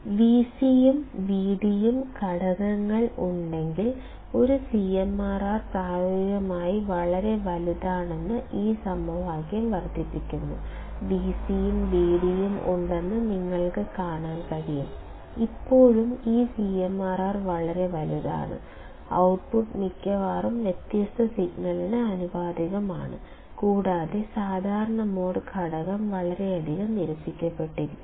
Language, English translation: Malayalam, This equation explains that a CMRR is practically very large, though both V c and V d components are present; you can see V d and V c are present, still this CMRR is very large; the output is mostly proportional to the different signal only and common mode component is greatly rejected